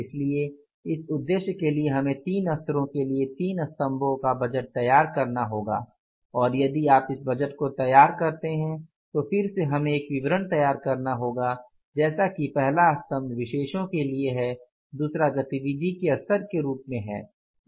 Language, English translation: Hindi, So, for this purpose we have to prepare a three columnar budget for three levels and if you prepare this budget so again we will have to create a statement like first column is for particulars